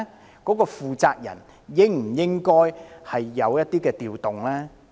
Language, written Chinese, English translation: Cantonese, 有關的負責人是否應有所調動呢？, And should not personnel changes be made?